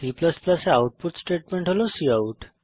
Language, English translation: Bengali, The output statement in C++ is cout